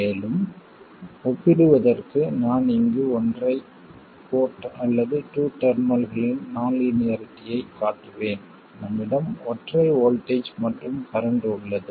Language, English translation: Tamil, And just for comparison I will show the single port or a 2 terminal non linearity here, we have a single voltage and a current